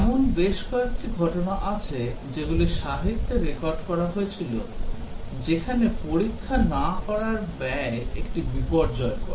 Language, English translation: Bengali, There are several incidents that having recorded in the literature, where the cost of not testing has been disastrous